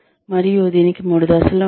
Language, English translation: Telugu, And, there are three phases to this